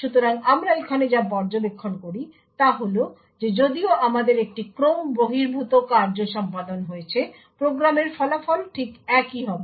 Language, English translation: Bengali, So, what we observe here is that even though the we have an out of order execution the result of the program will be exactly the same